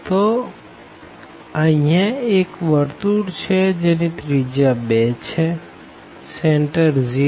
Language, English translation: Gujarati, So, there is a circle here of radius this 2, centre 0